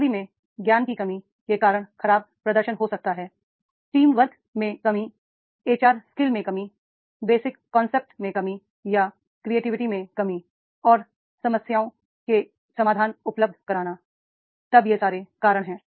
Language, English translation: Hindi, So, poor performance may be because of the lacking in the job knowledge, lacking in the teamwork, HR skills, lacking in the basic concepts itself or lacking into the creativity and providing the solutions to the problems, then this type of the these are the reasons